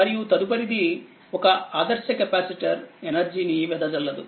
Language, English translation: Telugu, Since an ideal capacitor cannot dissipate energy right